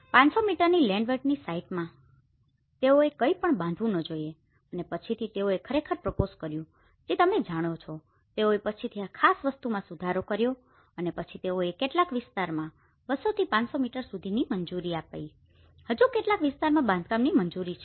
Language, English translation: Gujarati, Like as per the 500 meters of the landward site they should not construct anything and later also they have actually proposed that you know, you have to they have amended this particular thing later on and then they allowed to some areas 200 to 500 meters you can still permit some constructions